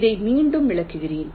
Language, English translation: Tamil, ok, let me again illustrate this